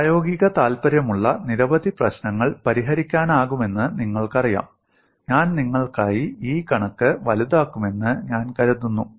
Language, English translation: Malayalam, You know many problems, which are of practical interest could be solved I think, I would enlarge this figure for you